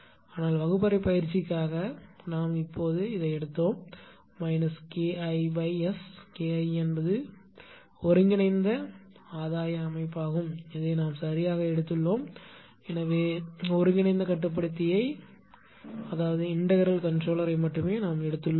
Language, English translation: Tamil, But for the classroom exercise we have just taken that minus K I upon S K I is the integral gain setting and this we have taken right; so, only integral controller controller we have taken